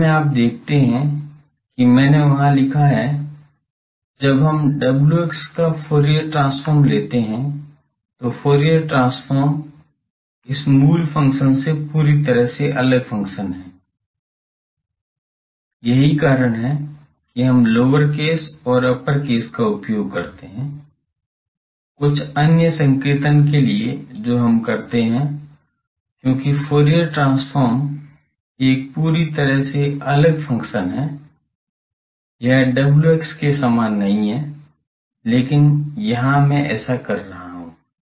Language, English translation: Hindi, Actually, you see that I have written there, when we take Fourier transform of w x, the Fourier transform is an entirely different function from this original function; that is why we use lower case and upper case, for some other notation we do, because Fourier transform is a completely different function, it is not same as w x, but here I am doing that